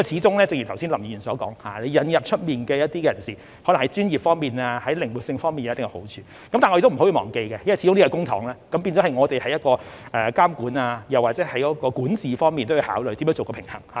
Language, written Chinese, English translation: Cantonese, 正如剛才林議員所說，引入一些外間人士，可能在專業方面或靈活性方面會有一定好處，但我們不可以忘記，因為始終是使用公帑，所以我們在監管或管治方面也要考慮如何做到平衡。, As Mr LAM said just now inviting external participation may have certain advantages in terms of expertise or flexibility but we must not forget that as the use of public coffers is involved we have to consider how to strike a balance in regulation or governance